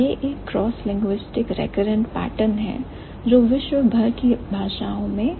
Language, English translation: Hindi, So, this is one cross linguistic recurrent pattern in most of the world's languages